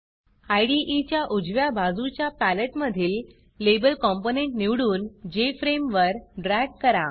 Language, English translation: Marathi, In the Palette, on the right hand side of the IDE, select the Label component and drag it to the Jframe